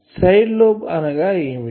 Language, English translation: Telugu, What is a side lobe